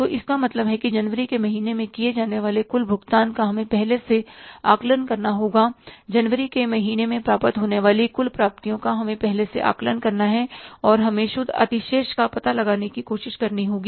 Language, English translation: Hindi, So, it means total payments we have to assess in advance to be made in the month of January, total receipts we have to assess in advance to be received in the month of January and we have to try to find out the net balance